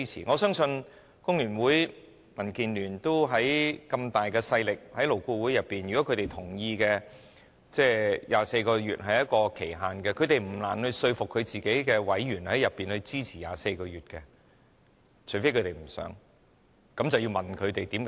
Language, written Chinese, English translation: Cantonese, 我相信，工聯會及民主建港協進聯盟在勞顧會有很大勢力，如果他們同意以24個月為期限，他們不難說服自己的委員在勞顧會內支持24個月的建議，除非他們不想，那便要問他們的原因。, I trust that FTU and the Democratic Alliance for the Betterment and Progress of Hong Kong are powerful in LAB and if they agree to set the time limit at 24 months it would not be difficult for them to convince their members on LAB to throw weight behind the proposal for 24 months unless they did not wish to in which case only they themselves know why